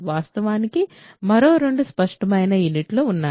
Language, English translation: Telugu, There are two other obvious units in fact